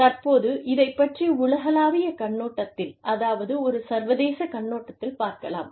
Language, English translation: Tamil, Now, let us talk about this, from a global perspective, from an international perspective